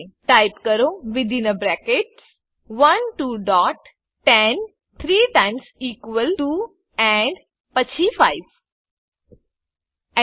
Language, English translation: Gujarati, Type Within brackets 1 two dots 10 three times equal to and then 5 Press Enter